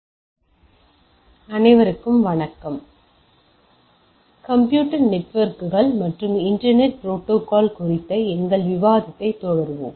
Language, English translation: Tamil, So, we will be continuing our discussion on Computer Networks and Internet Protocol